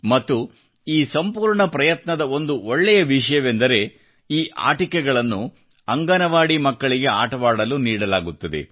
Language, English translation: Kannada, And a good thing about this whole effort is that these toys are given to the Anganwadi children for them to play with